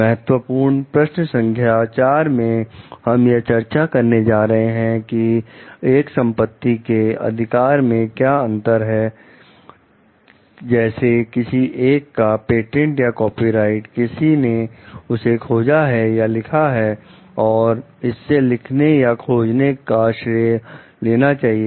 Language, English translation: Hindi, In key question 4 we are going to discuss on what is the difference between having a property right, such as a patent or copyright for something, one has invented or written and credit for having written or invented it